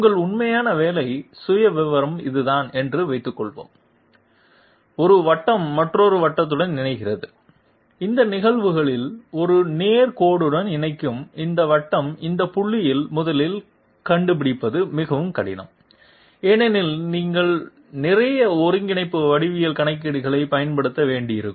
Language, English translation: Tamil, Suppose your actual job profile is this, one circle connecting up with another circle and this circle connecting up with a straight line in these cases it is extremely difficult to find out 1st of all these points because you would have to use you would have to use a lot of coordinate geometry calculations